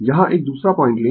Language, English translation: Hindi, You will take another point here